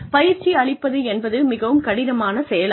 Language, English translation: Tamil, Training is also a very difficult activity